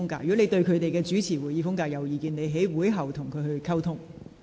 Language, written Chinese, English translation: Cantonese, 如你對他們有任何意見，可在會後與他們溝通。, Should you have any comments you can talk to them after the meeting